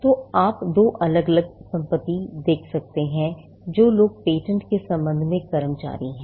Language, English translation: Hindi, So, you can see two different possessions, which people employee with regard to patents